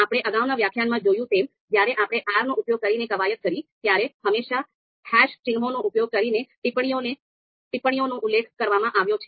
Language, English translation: Gujarati, So as we saw in the previous you know lecture when we did an exercise using R, the comments are actually you know using the hash symbol